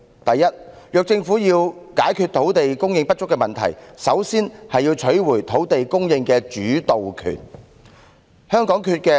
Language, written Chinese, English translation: Cantonese, 第一，如果政府要解決土地供應不足的問題，首先要取回土地供應的主導權。, First if the Government wishes to resolve the shortage of land supply it should first take back the leading role in land supply